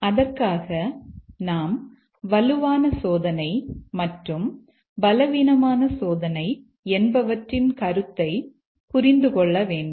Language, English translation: Tamil, For that we must understand the concept of a stronger testing and a weaker testing